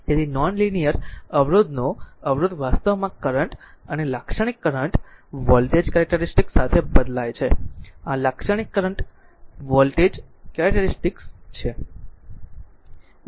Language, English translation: Gujarati, So, resistance of a non linear resistor actually varies with current and typical current voltage characteristic is this is the typical current voltage characteristic